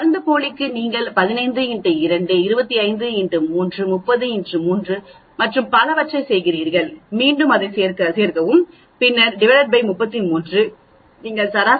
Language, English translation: Tamil, For the placebo you do 15 into 2, 25 into 3, 30 into 3 and so on, again you add it up and then divide by 33 you get the average as 43